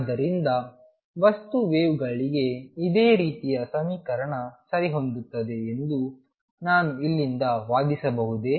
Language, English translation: Kannada, So, can I argue from here that a similar equation access for material waves